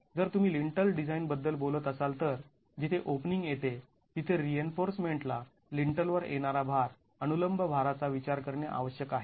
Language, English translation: Marathi, If you are talking of the lintel design where the opening comes the reinforcement must take into account the vertical load that is coming onto the lintel